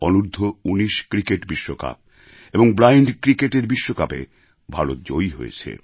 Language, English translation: Bengali, India scripted a thumping win in the under 19 Cricket World Cup and the Blind Cricket World Cup